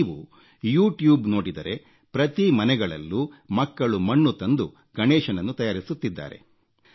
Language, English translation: Kannada, If you go on YouTube, you will see that children in every home are making earthen Ganesh idols and are colouring them